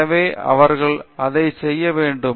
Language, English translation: Tamil, So, they must be doing that